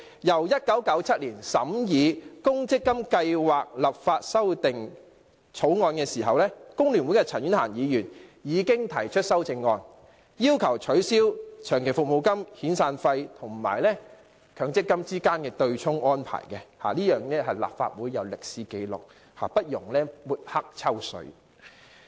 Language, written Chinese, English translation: Cantonese, 立法會1997年審議《1997年公積金計劃立法條例草案》時，工聯會的陳婉嫻已提出修正案，要求取消長期服務金、遣散費與強積金之間的對沖安排，立法會有這方面的歷史紀錄，不容抹黑、"抽水"。, In 1997 when the Provident Fund Schemes Legislation Amendment Bill 1997 was scrutinized by the Legislative Council CHAN Yuen - han of FTU already proposed an amendment seeking to abolish the arrangement for offsetting long service payments and severance payaments with MPF contributions . There is such record in the archives of the Legislative Council so it brooks no besmirching and attempts of taking advantage of it